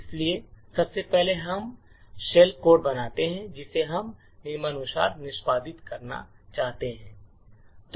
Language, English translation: Hindi, So, first of all we create the shell code that we we want to execute as follows